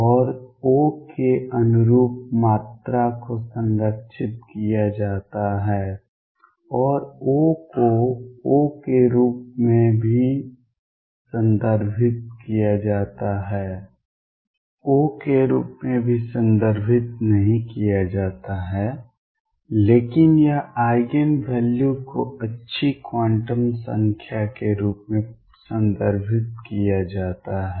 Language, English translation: Hindi, And the quantity corresponding to O is conserved and O is also referred to as O is also referred to as not O, but it is Eigen values are referred to as good quantum number